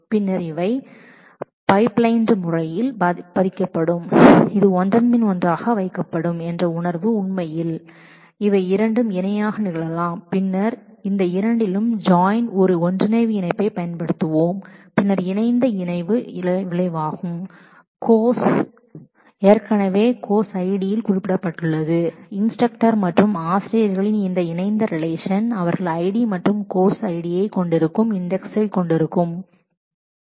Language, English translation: Tamil, Then they will be pipelined in the sense that this will be put one after the other actually these two can happen in parallel and then we will use a merge join to join these two then this merge that is joined result would be joined with course based on now the course is already indexed in course id and this joined relation of instructor and teachers will have id and course id on which they will have index